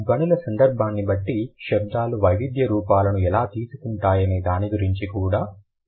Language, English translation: Telugu, I will also talk about how the sounds take on variant forms depending on the phonological context